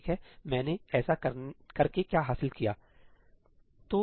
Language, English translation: Hindi, Alright, what have I gained by doing this